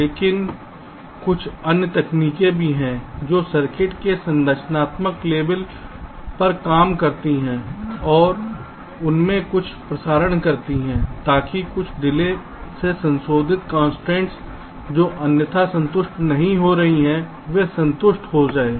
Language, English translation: Hindi, but there is some other techniques also which work at the structural level of the circuit and carry out some transmissions therein, so that some of the ah, delay related constraints, which are not otherwise getting satisfied, they can be satisfied, ok